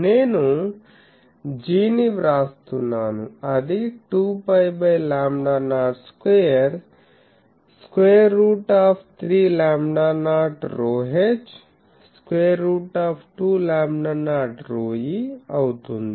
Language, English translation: Telugu, So, from this formula now, I will be able to write that this is equal to 2 pi by lambda not s qure square root 3 rho not by 2 to 2 rho not by 1 ok